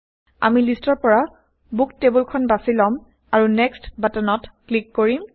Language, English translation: Assamese, We will choose the Books table from the list and click on the Next button